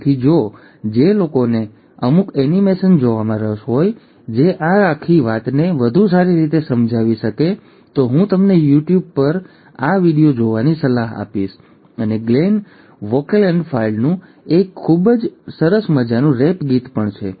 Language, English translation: Gujarati, So if for those who are interested to see certain animations which can explain this whole thing in a better fashion, I would recommend you to go through this video on youtube, and there is also a very nice fun rap song by Glenn Wolkenfeld, I would invite you to see that as well